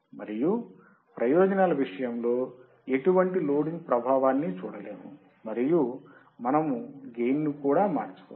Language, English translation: Telugu, And in advantage we cannot see any loading effect, and we can also change the gain